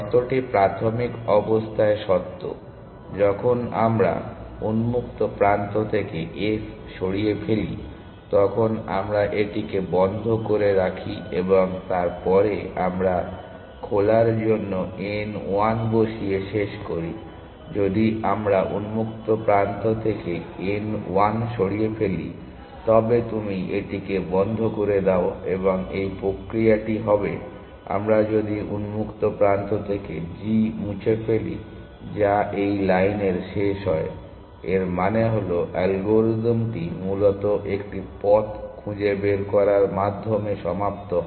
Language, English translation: Bengali, So, the condition is true in the initial situation when we remove s from open we put it into closed and then we end of putting n 1 on to open essentially if we remove n 1 from open then you put this into close and this process will continue essentially if we remove g from open which is the last in this line; that means, algorithm is terminated by founding a finding a path essentially